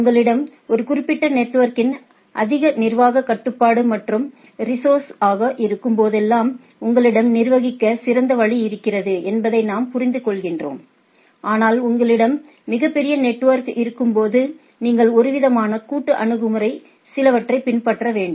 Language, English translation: Tamil, As we understand that this whenever you have a more administrative control and a over a particular network and the resources you have a better way of manageability, but when you have a in a very large network, then you have to follow some sort of a some sort of a what we say collaborative approach right